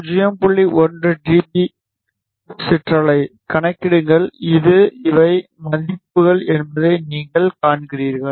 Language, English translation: Tamil, 1 dB ripple; calculate, you see that these are the values